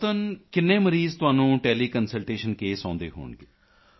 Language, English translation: Punjabi, On an average, how many patients would be there through Tele Consultation cases